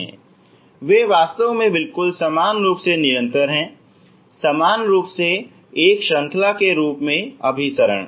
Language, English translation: Hindi, They are actually and uniformly continuous, uniformly converging as a series